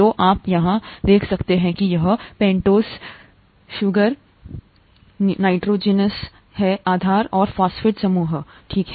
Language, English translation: Hindi, So you can see here this is the pentose sugar, the nitrogenous base and the phosphate group, okay